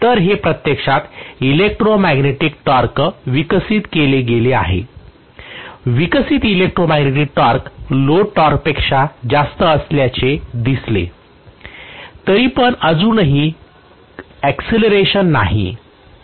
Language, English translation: Marathi, So this is what is actually the electromagnetic torque developed, the electromagnetic torque developed happens to be higher than the load torque still there will be acceleration